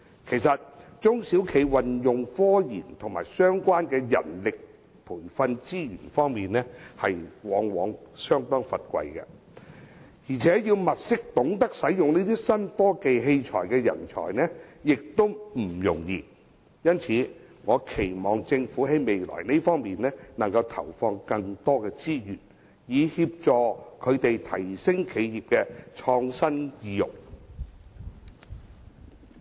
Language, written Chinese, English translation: Cantonese, 其實，中小企在科研及相關的人力培訓資源方面相當匱乏，要物色懂得使用新科技器材的人才也不容易，因此我期望政府未來投放更多資源，以協助提升企業的創新意欲。, As a matter of fact SMEs are acutely short of resources for RD and staff training in relevant areas . It is not easy to find employees who know how to operate new technology equipment . Hence I expect the Government to allocate more resources in the future to encourage enterprises to have higher innovative incentives